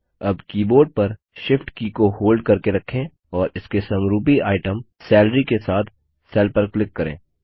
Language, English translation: Hindi, Now hold down the Shift key on the keyboard and click on the cell with its corresponding item, Salary